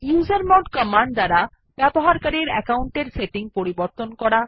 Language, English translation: Bengali, usermod command to change the user account settings